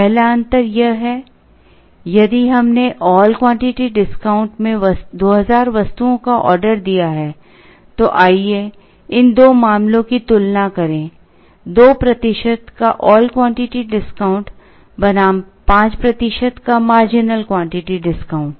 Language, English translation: Hindi, The first difference is this, if we ordered 2000 items in the all quantity discount, let us compare these two cases an all quantity discount of 2 percent versus a marginal quantity discount of 5 percent